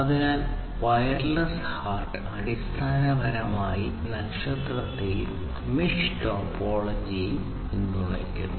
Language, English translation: Malayalam, So, wireless HART basically supports both star and mesh topologies